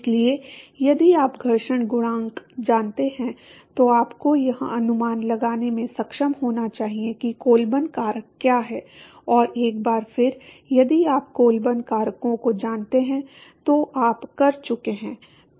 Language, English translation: Hindi, So, if you know the friction coefficient then you should be able to estimate what the Colburn factors are and once again if you know the Colburn factors you are done